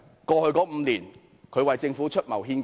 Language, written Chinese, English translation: Cantonese, 過去5年，它可曾為政府出謀獻計？, In the past five years did it ever give the Government any good advice on strategies and plans?